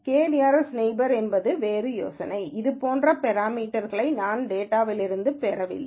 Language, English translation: Tamil, k nearest neighbor is a different idea, where I do not get parameters like this out of the data